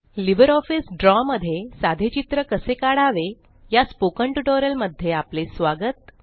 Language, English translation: Marathi, Welcome to the Spoken Tutorial on How to Create Simple Drawings in LibreOffice Draw